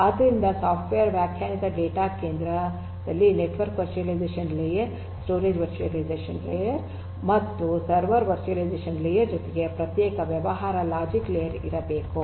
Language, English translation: Kannada, So, there has to be a separate business logic layer, in addition to the network virtualization layer, the storage virtualization layer and the server virtualization layer in a software defined data centre